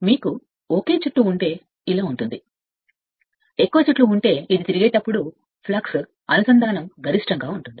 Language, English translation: Telugu, If you have only one turn if you have more number of turns, so this position the flux linkage will be maximum when it is revolving